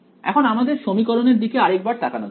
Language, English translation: Bengali, So, let us just look at our equation once again